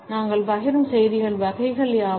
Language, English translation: Tamil, What are the types of messages we share